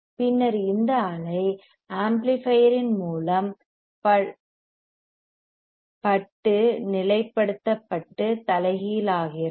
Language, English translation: Tamil, Then this wave is stabilized and inverted by the amplifier